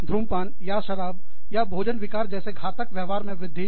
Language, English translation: Hindi, Increase in, deleterious behavior, like smoking, or alcoholism, or eating disorders